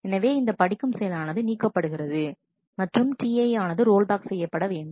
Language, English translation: Tamil, So, this read operation can be rejected and T i will be rolled back